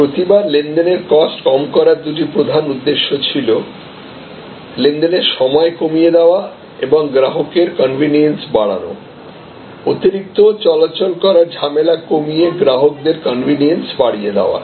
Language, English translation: Bengali, Every time we had two major objectives to lower the transaction cost, lower the transaction time and increase customer’s convenience, increase customer’s you know convenience in terms of decreasing the hassle extra movements